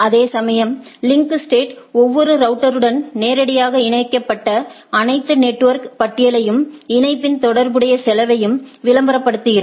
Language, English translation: Tamil, Whereas, in link state each router advertises a list of all directly connected network and associated cost of the link